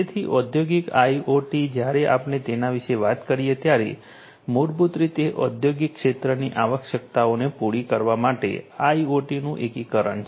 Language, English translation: Gujarati, So, industrial IoT, when we talk about it is basically an integration of IoT to cater to the requirements of the industrial sector